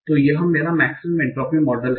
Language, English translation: Hindi, So what is a maximum entropy model